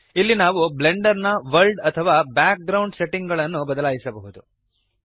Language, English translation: Kannada, Here we can change the world settings or background settings of Blender